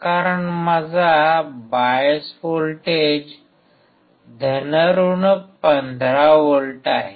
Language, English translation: Marathi, Because my bias voltage is + 15V